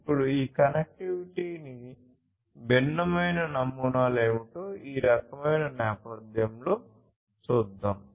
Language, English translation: Telugu, Now, let us look at in this kind of backdrop what are the different models for this connectivity